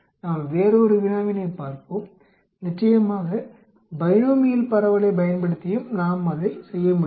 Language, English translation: Tamil, Let us look at another problem, of course we can do the same thing using the binomial distribution also